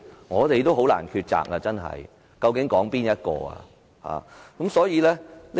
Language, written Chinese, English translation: Cantonese, 我們真的很難抉擇，究竟應該討論哪一項？, It is really difficult for us to choose which topic should be raised for discussion?